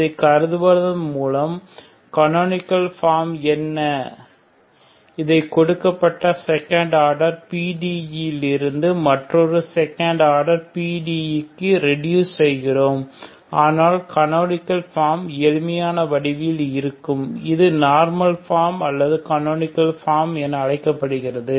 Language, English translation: Tamil, So by considering this is what is a canonical form reduce the given partial differential equation of second order into another partial differential equation of second order but in the canonical form nice form simpler form, this is called normal from or canonical form